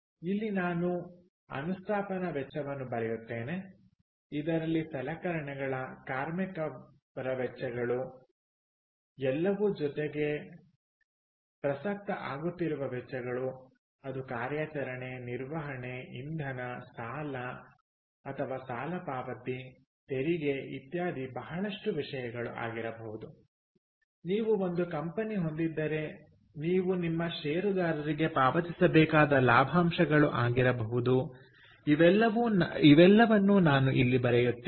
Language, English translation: Kannada, so here i would write installation cost, which also includes equipment, labor, everything, plus ongoing costs, which is operation, maintenance, fuel, debt or loan payment, tax, ah, etcetera, etcetera, a lot of things, dividends that you have to pay your shareholder, all that stuff